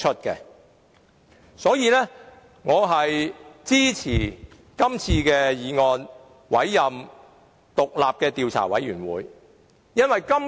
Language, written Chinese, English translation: Cantonese, 因此，我支持這項議案，委任獨立的調查委員會。, Therefore I support this motion to appoint an independent investigation committee